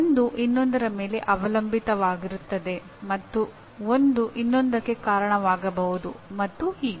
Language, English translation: Kannada, One is dependent on the other and one can lead to the other and so on